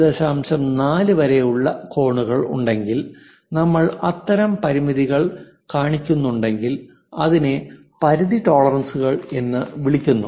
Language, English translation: Malayalam, 4 such kind of limits if we are showing that is called limit tolerances